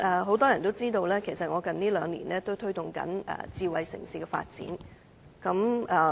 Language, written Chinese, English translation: Cantonese, 很多人也知道，我近兩年正推動智慧城市的發展。, Many people know that I have been promoting the development of smart city in the past two years